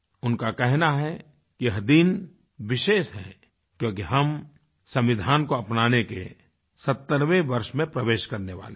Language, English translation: Hindi, She says that this day is special because we are going to enter into the 70th year of our Constitution adoption